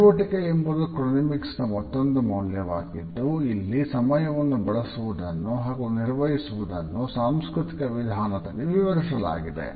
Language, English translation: Kannada, Activity is also another chronemics value our use and manage of time is defined in a cultural manner too